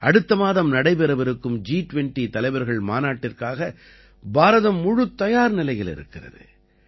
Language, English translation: Tamil, India is fully prepared for the G20 Leaders Summit to be held next month